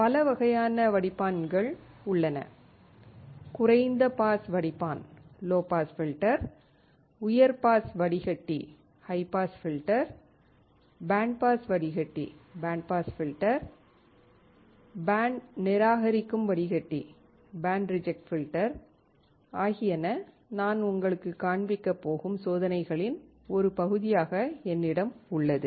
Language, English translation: Tamil, There are several type of filters low pass filter, high pass filter, band pass filter, band reject filter that I have as a part of the experiment that I will show you